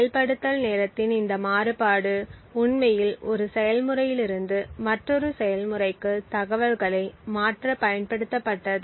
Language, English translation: Tamil, This variation in execution time was used to actually transfer information from one process to another